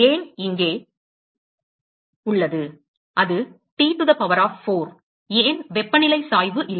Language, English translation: Tamil, Why is it here that, it is T to the power of 4, why not temperature gradient